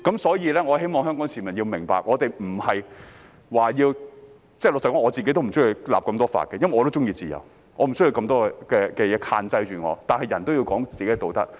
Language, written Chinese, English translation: Cantonese, 所以，我希望香港市民明白，我們不是說要......老實說，我也不喜歡訂立那麼多法例，因為我也喜歡自由，我不想有諸多限制，但人需要談道德。, For this reason I hope that the people of Hong Kong understand that we are not talking about Frankly speaking I am not fond of enacting so many laws because I like freedom too and I do not want to be subject to so many restraints but people need to take ethics into account